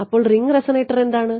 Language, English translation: Malayalam, So, what is the ring resonator